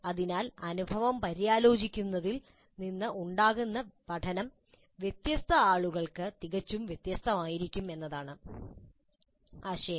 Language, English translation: Malayalam, So the idea is that the learning that can happen from reflecting on the experience can be quite quite different for different people